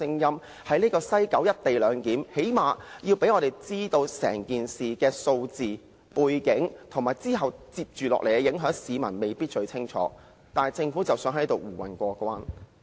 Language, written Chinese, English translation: Cantonese, 最低限度政府要讓我們知道整件事的相關數字、背景，以及接着下來的影響，因為市民未必清楚，但政府卻想在此蒙混過關。, The Government should at least let us know the related statistics background information and the future impact as the public may not be clear about all these . But in this Council the Government just wants to muddle through